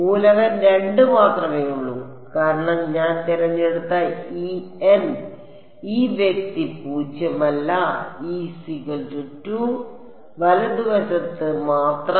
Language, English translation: Malayalam, Is only element 2 because this N this guy I have chosen is non zero only over e is equal to 2 right